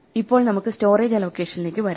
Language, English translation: Malayalam, Now let us come to Storage allocation